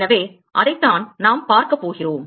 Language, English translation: Tamil, So, that is what we are going to see